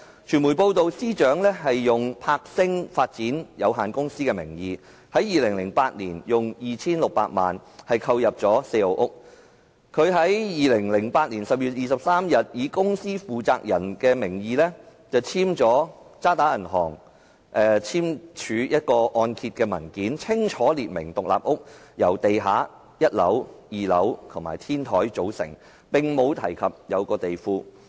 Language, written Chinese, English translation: Cantonese, 傳媒報道，司長以柏星發展有限公司的名義，在2008年用 2,600 萬元購入四號屋，她在2008年10月23日以公司負責人的名義簽署渣打銀行的按揭文件，清楚列明獨立屋由地下、1樓、2樓及天台組成，並未提及地庫。, It was reported that the Secretary for Justice bought House 4 in the name of Sparkle Star Development at the price of 26 million in 2008 . On 23 October 2008 she signed the mortgage document with Standard Chartered Hong Kong in her capacity as the responsible person of the company . The document clearly stated that House 4 comprised a ground floor a first floor a second floor and a roof